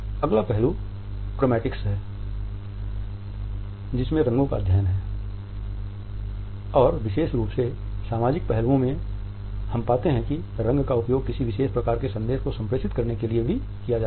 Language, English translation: Hindi, Chromatics is a study of colors particularly the social aspects and we find that color is also used to communicate a particular type of message